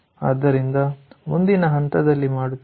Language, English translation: Kannada, so that is what we have done in the next stage